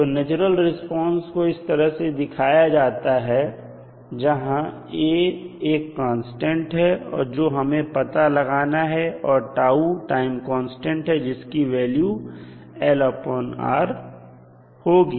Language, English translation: Hindi, So, natural response we will represent it like this and a is a constant which we have to determine and tau is nothing but the time constant which we know that it is l by r